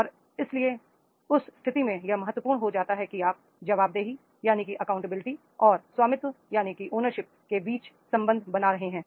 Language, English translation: Hindi, And therefore in that case it becomes very important that is we are making the relationship between the accountabilities and the ownership is there